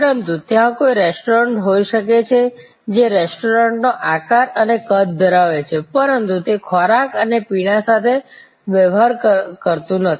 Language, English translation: Gujarati, But, can there be a restaurant, which has the shape and size of a restaurant, but it does not deal with food and beverage